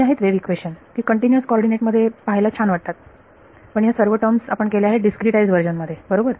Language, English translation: Marathi, So, this is what are wave equation which was very nice to look at in continuous coordinates, but in the discretize version these are all the terms that we did right